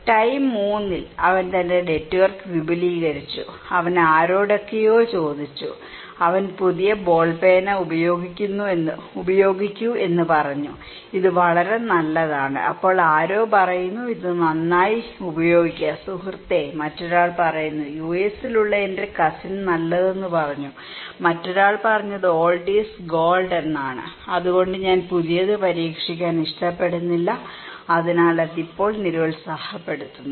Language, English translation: Malayalam, Then in time 3, he expanded his network okay, he asked somebody they said use new ball pen, it is really good, then someone is saying that okay, it is damn good use it buddy, other one is saying my cousin in USA said good so, please, another one is old is gold, I do not like to try the new so, it is now discouraging okay